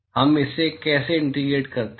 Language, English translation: Hindi, How do we integrate this